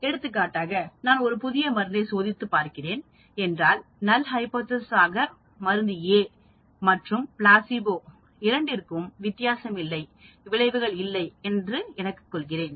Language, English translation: Tamil, For example, if I am testing a new drug, null hypothesis could be drug A is as good as placebo status quo, no difference, no effect